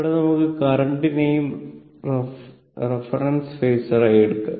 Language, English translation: Malayalam, So, same thing here the current as reference phasor